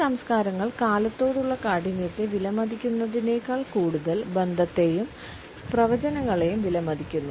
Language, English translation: Malayalam, These cultures value relationship and predictions more than they value rigidity towards time